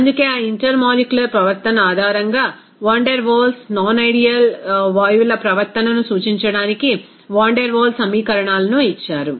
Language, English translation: Telugu, So, that is why based on that intermolecular behavior, the Van der Waals gave this equation of Van der Waal equations to represent the non ideal behavior of the gases